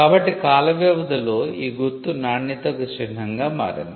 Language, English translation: Telugu, So, the mark over the period of time became symbols of quality